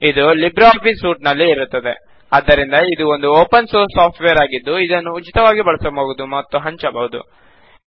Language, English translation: Kannada, It is bundled inside LibreOffice Suite and hence it is open source, free of cost and free to distribute